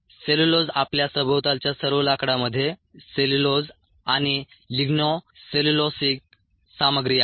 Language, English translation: Marathi, all the wood around you contains cellulose and ligno cellulosic materials